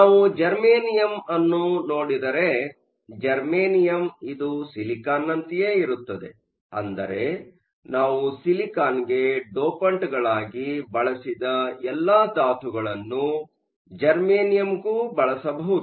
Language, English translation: Kannada, If we look at Germanium, Germanium lies in the same group as silicon, which means all the elements that we used as dopants for silicon could also be used for germanium